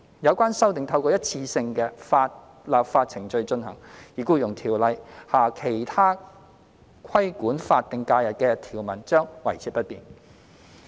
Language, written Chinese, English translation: Cantonese, 有關修訂透過一次性的立法程序進行，而《僱傭條例》下其他規管法定假日的條文將維持不變。, The relevant amendments should be made in one legislative exercise and the other provisions governing SHs under EO will remain unchanged